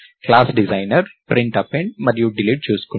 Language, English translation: Telugu, The class's designer has taken care of Print Append and Delete